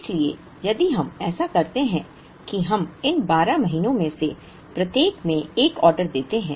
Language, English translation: Hindi, So, if we do that we end up placing an order in each of these 12 months